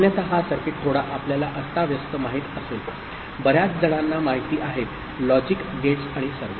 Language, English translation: Marathi, Otherwise this circuit will become a bit you know clumsy too many you know, logic gates and all